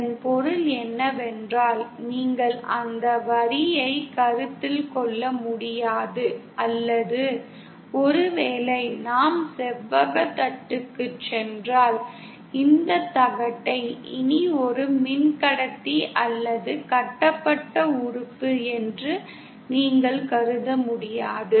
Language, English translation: Tamil, What that means is, you cannot consider that line or say if we go back to our rectangle plate, you can no longer consider this plate as a single conductor or a lumped element